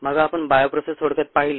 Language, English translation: Marathi, then we looked at the over view of the bio process